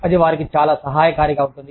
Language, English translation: Telugu, That would be, very helpful for them